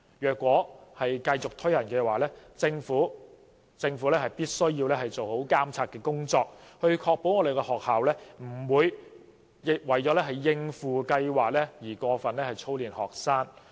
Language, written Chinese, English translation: Cantonese, 如果繼續推行，政府必須做好監察工作，以確保學校不會為了應付計劃而過分操練學生。, If it is decided that BCA should continue the Government must carry out proper monitoring to ensure that schools will not conduct excessive drills on students for the sake of the BCA research study